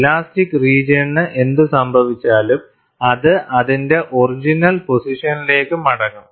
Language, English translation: Malayalam, Whatever that has happened to the elastic region, it will spring back to its original position